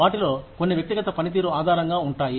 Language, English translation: Telugu, Some of which are, based on individual performance